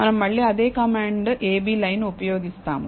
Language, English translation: Telugu, We again use the same command a b line